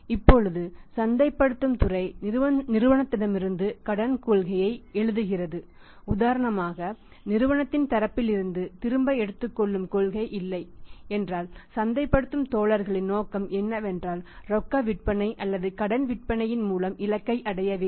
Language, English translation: Tamil, Now the marketing department is written credit policy from the company inside if say for example if there is no return policy from the company side in that case marketing guys objective would be that I should achieve the target maybe on cash on the credit